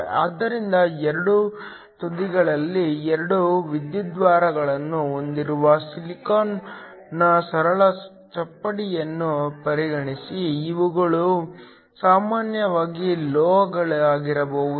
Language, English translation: Kannada, So, consider a simple slab of silicon with 2 electrodes on either ends, these can be typically metals